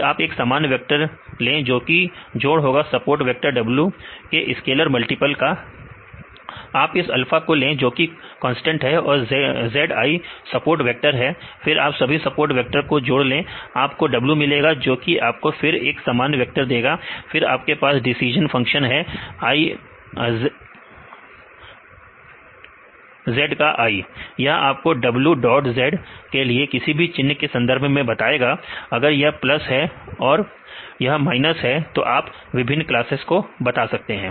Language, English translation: Hindi, Then take the normal vector it which is the sum of the scalar multiples of the support vector w, you take the this alpha is constant zi is the support vectors, and take the sum of all the support vectors right you get the w right this will give you the a normal vector right